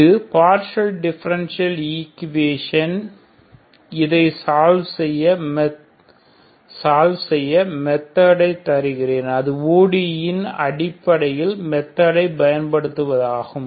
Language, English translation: Tamil, This is a partial differential equation I am just giving you the method to solve this one just using basic methods of ordinary differential equations